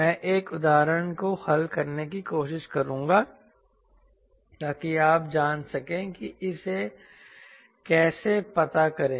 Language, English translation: Hindi, i will try to solve one example so that you know how to at exactly find it out